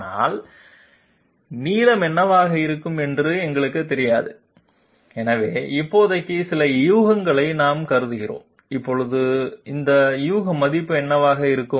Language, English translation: Tamil, But we do not know what is going to be the length, so we assume some guess for the moment, now what is going to be this guess value